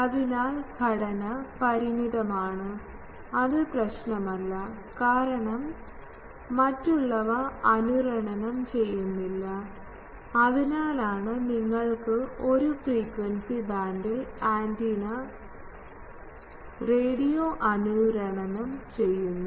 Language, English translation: Malayalam, So, this is the finite structure, because it does not matter, because others are not resonating, so that is why you can have a frequency band and over that there is antenna is radio resonating